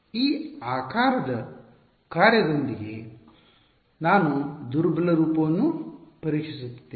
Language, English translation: Kannada, I am testing the weak form with this shape function